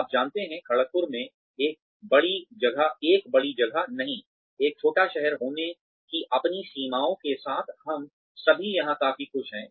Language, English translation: Hindi, You know, in Kharagpur, not a big place, with its limitations of being a small town, we are all quite happy here